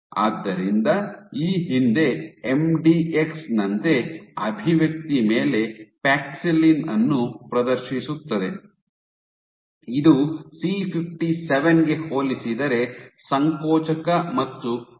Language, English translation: Kannada, So, like previously MDX which exhibit paxillin over expression are contractile are more contractile and stiffer compared to C57